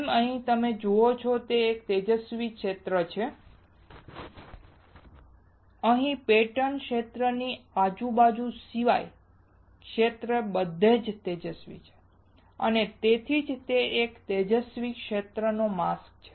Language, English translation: Gujarati, As you see here the field is bright, here the field is bright everywhere the except around the pattern area and which is why it is a bright field mask